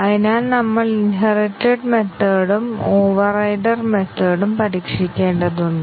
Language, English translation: Malayalam, So, the inherited methods we need to test and also the overridden methods we need to test